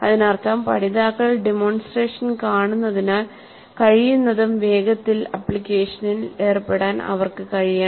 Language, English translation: Malayalam, That means as the learners see the demonstration, they must be able to engage in the application as quickly as possible